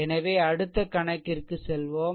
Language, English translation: Tamil, So, next move to the problem